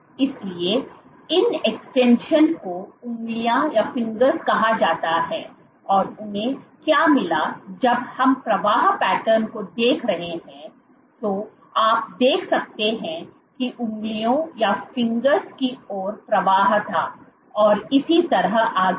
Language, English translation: Hindi, So, these extensions are called fingers and what they found when we are looking at the flow patterns you could see that there was flow towards the fingers so on and so forth